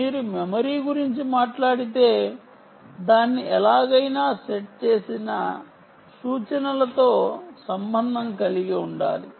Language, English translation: Telugu, if you talk about memory, you have to relate it to the instructions set somehow